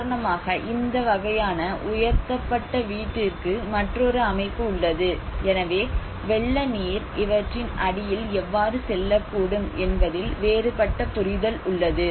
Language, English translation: Tamil, Now, for instance, there is another setting of this kind of a raised house so there are some different understanding how maybe the flood water can go beneath something like that